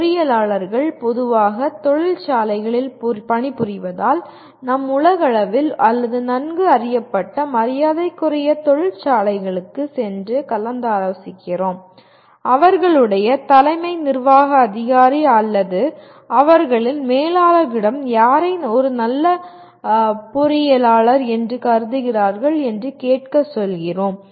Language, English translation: Tamil, It is generally because engineers dominantly are employed by industries and we go and consult really the top worldwide or well known respected industries and ask their CEO’s or their managers to say whom do they consider somebody as good engineer